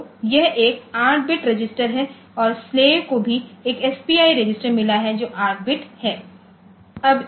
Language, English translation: Hindi, So, this is an 8 bit register and slave also has got one SPI register which is 8 bit, fine